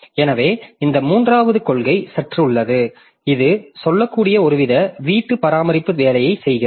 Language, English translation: Tamil, So, this third policy is slightly it is doing some sort of housekeeping job you can say